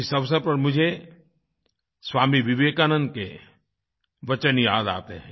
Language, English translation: Hindi, On this occasion, I remember the words of Swami Vivekananda